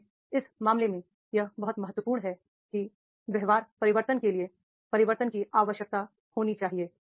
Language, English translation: Hindi, So therefore in that case the it is very important that is for the behavioral change, then there should be a need to change